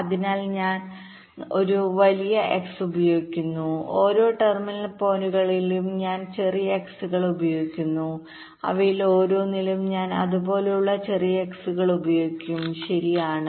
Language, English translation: Malayalam, so i use a big x and with each of the terminal points i use smaller xs from each of them i will be using even smaller xs like that